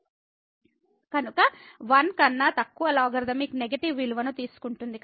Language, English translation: Telugu, So, less than 1 the logarithmic take the negative value